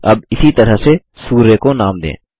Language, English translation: Hindi, Let us now name the sun in the same way